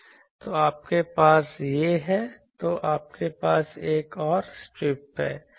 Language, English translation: Hindi, So, you have these then you have another strip, another strip